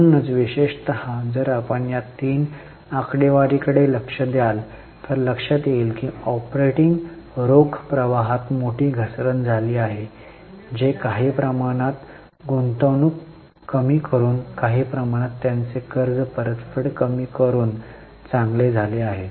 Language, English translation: Marathi, So, particularly if you look at these three figures, you will realize that there has been a major fall in operating cash flows which are somehow made good by reducing to some extent reducing investment and to some extent reducing their repayment of loan